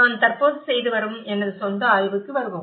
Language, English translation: Tamil, Letís come to some of my own study which I am currently doing